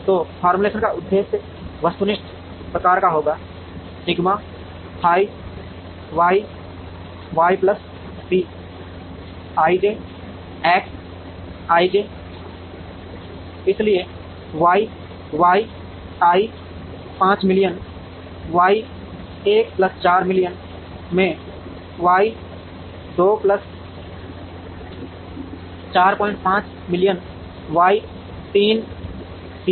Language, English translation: Hindi, So, the formulation will have an objective function of the type minimize sigma f i Y i plus C i j X i j, so the f i Y i will be 5 million into Y 1 plus 4 million into Y 2 plus 4